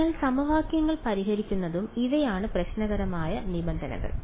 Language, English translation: Malayalam, So, solving the equations and these are the problematic terms